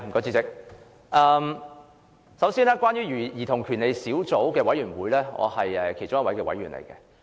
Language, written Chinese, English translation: Cantonese, 主席，我是兒童權利小組委員會的委員。, President I am a member of the Subcommittee on Childrens Rights